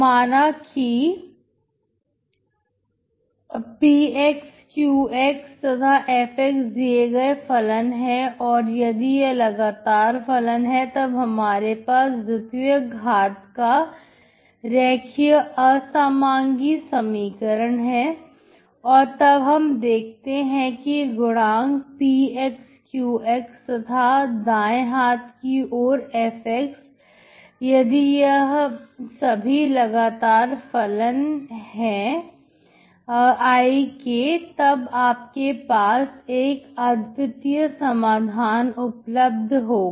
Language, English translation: Hindi, Suppose p, q and f , these functions are given and if they are continuous functions and what you have is a second order linear non homogeneous equation and then once you see these coefficients, p, q and right hand side f , if they are continuous in I, so you have a unique solution